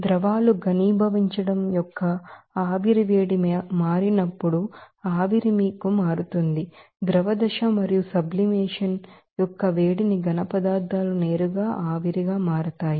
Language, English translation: Telugu, When liquids to be converting into vapor heat of condensation that means, vapor will be converting to you know that liquid phase and heat of sublimation that case solids to be directly converting to the vapour